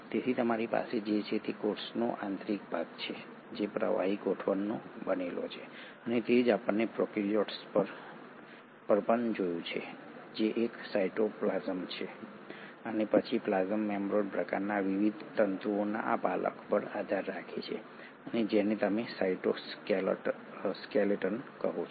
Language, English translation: Gujarati, So what you have is the interior of the cell which consists of a fluidic arrangement and that is what we had seen in prokaryotes also which is a cytoplasm, and then the plasma membrane kind of a rests on this scaffold of various fibres and what you call as the cytoskeleton